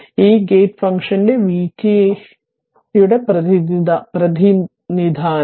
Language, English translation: Malayalam, This is your representation of v t that gate function